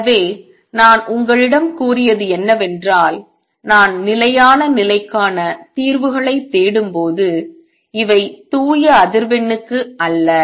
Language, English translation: Tamil, So, what I have told you is that when I am looking for stationary state solutions, these are not for pure frequency